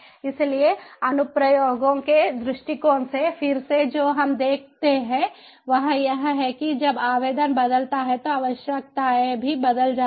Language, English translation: Hindi, so from an applications perspective, again, what we see is when the application changes, the requirement also change